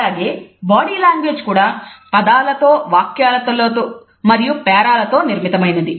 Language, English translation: Telugu, Body language is also made up of similarly words, sentences and paragraphs